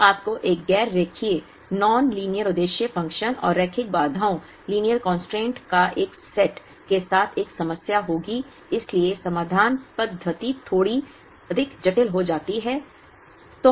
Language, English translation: Hindi, Then you will have a problem with a non linear objective function and a set of linear constraints, so the solution methodology becomes a little more complicated